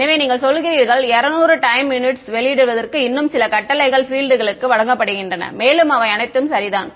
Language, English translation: Tamil, So, you say 200 time units some more commands are given to output the fields and all of those things ok